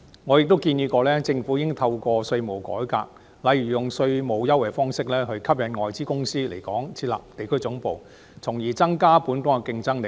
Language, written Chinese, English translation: Cantonese, 我亦曾建議，政府應透過稅務改革，例如以稅務優惠吸引外資公司來港設立地區總部，從而增加本港的競爭力。, I once advised the Government to conduct tax reform such as offering tax concessions to attract foreign companies setting up regional headquarters in Hong Kong thus enhancing the competitiveness of Hong Kong